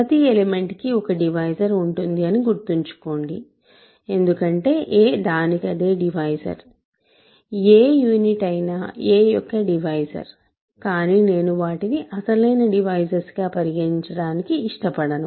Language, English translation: Telugu, Remember, everything has a divisor because a is a divisor of itself, any unit is a divisor of a, but I do not want to consider those as actual divisors